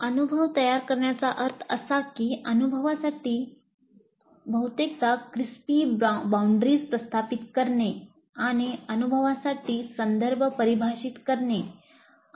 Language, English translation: Marathi, So framing the experience means establish reasonably crisp boundaries for the experience and define the context for the experience